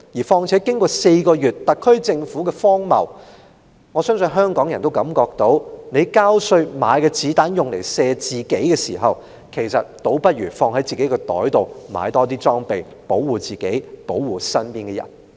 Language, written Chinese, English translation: Cantonese, 再者，經歷了這4個月間特區政府的荒謬，相信香港人都會感到，與其交稅買子彈來射自己，倒不如把錢放在自己口袋，買更多裝備保護自己、保護身邊人。, What is more after experiencing the absurdity of the SAR Government in these four months Hong Kong people will probably prefer to keep the money with themselves for buying more protective gear for themselves and those close to them than to pay tax for buying bullets that may shoot them